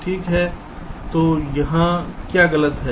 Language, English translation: Hindi, so what is wrong here